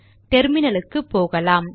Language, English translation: Tamil, Switch to the terminal